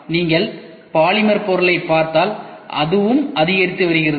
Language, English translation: Tamil, And if you see polymer material this is also increasing ok